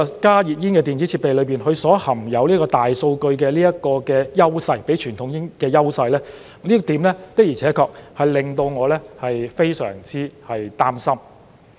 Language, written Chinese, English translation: Cantonese, 加熱煙的電子設備含有大數據，較傳統煙有優勢，這點的而且確令到我非常擔心。, As the electronic devices of HTPs collect big data and have an edge over conventional cigarettes they surely make me very worried